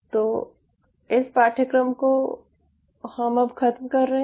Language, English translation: Hindi, so this is pretty much finishes the course